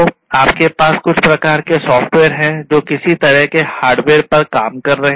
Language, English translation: Hindi, So, you have some kind of software that is working on some kind of hardware